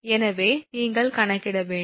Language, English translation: Tamil, So, you can easily compute this one